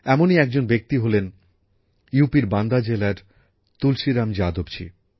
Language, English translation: Bengali, One such friend is Tulsiram Yadav ji of Banda district of UP